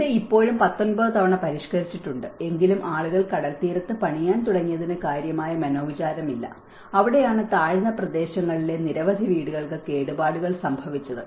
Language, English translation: Malayalam, And it has been revised 19 times still there, and even then there is not much serious implication that people started building near the sea shore, and that is where many of the houses have been damaged in the low lying areas